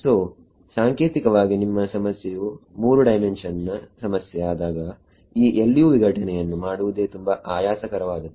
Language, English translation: Kannada, So, typically when your problem becomes a 3 dimensional problem, doing this LU decomposition itself becomes very tedious